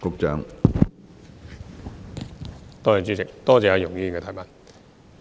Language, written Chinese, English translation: Cantonese, 主席，多謝容議員的補充質詢。, President I thank Ms YUNG for her supplementary question